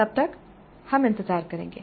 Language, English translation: Hindi, Until then we will wait